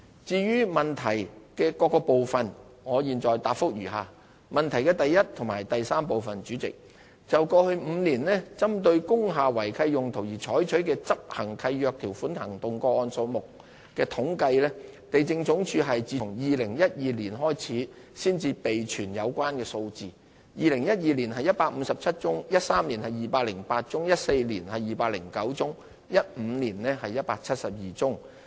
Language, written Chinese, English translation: Cantonese, 至於質詢的各個部分，我現答覆如下：一及三就過去5年針對工廈違契用途而採取的執行契約條款行動個案數目的統計，地政總署是自2012年才開始備存有關數字 ，2012 年是157宗、2013年是208宗、2014年是209宗、2015年是172宗。, My reply to the various parts of the question is as follows 1 and 3 Regarding the statistics on lease enforcement actions against lease breaches in industrial buildings over the past five years LandsD has only kept the figures since 2012 . There were 157 cases in 2012 208 cases in 2013 209 cases in 2014 and 172 cases in 2015